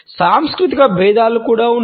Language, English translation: Telugu, There are cultural differences also